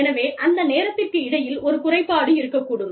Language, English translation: Tamil, So, there could be a lapse, between that time